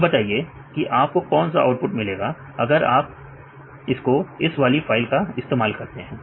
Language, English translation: Hindi, What is the output you will get if you work this on this file